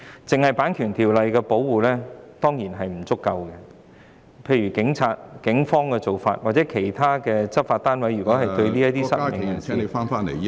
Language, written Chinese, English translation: Cantonese, 單靠《版權條例》的保護當然不足夠，例如有警員及其他執法部門曾對失明人士......, It is certainly inadequate to solely rely on the protection under the Ordinance . In some cases police officers and law enforcement departments have treated blind persons